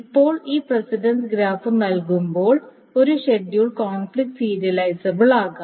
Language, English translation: Malayalam, Now given this precedence graph, a schedule is conflict serializable